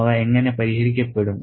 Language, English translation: Malayalam, How are they resolved by whom